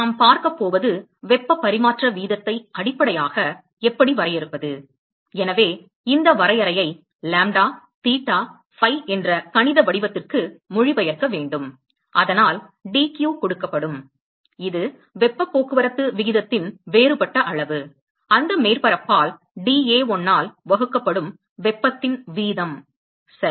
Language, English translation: Tamil, And what we are going to see is how to define heat transfer rate based on the; so need translate this definition into to a mathematical form lambda, theta, phi so that will be given dq which is the differential amount of heat transport rate, the rate at which the heat is being emitted by that surface divided by dA1, ok